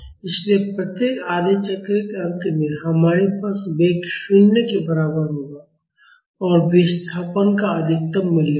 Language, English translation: Hindi, So, at the end of each half cycle, we will have velocity is equal to 0 and the displacement will have a maximum value